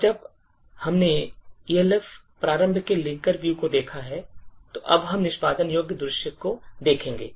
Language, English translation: Hindi, Now that we have seen the linker view of an Elf format, we would now look at the executable view